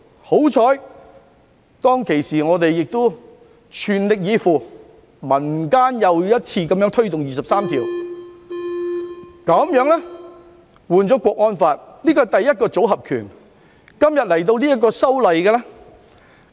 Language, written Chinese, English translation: Cantonese, 幸好，當時我們亦全力以赴，民間又一次推動就《基本法》第二十三條立法，換來了《香港國安法》。, Luckily we continue to strive our best to help push forward the enactment of legislation on Article 23 of the Basic Law which became the National Security Law this time